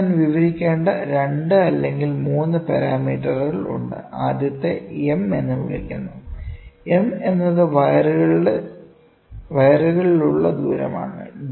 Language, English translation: Malayalam, So, here there are 2 3 parameters which I have to describe; first one is called as M, M is nothing, but the distance over wires